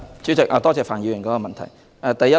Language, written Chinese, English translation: Cantonese, 主席，多謝范議員的補充質詢。, President I thank Mr FAN for his supplementary question